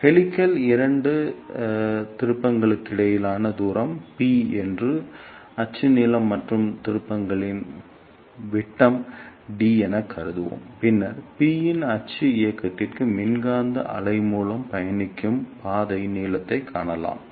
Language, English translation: Tamil, Let us say the distance between two turns of the helix is p that is axial length and the diameter of the turns is d, then we can find the path length traveled by the electromagnetic wave for a axial movement of p